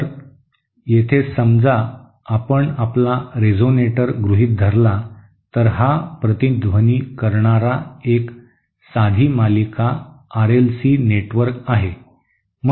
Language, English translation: Marathi, So here suppose you assume your resonator, this resonator to be a simple series R L C network